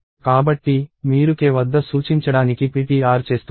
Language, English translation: Telugu, So, you are making ptr to point at k